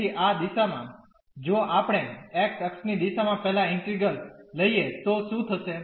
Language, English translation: Gujarati, So, in this direction if we take the integral first in the direction of x what will happen